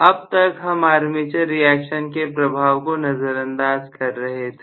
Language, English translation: Hindi, Originally, we had been neglecting armature reaction